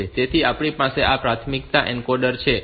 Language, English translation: Gujarati, this is the priority encoder that we have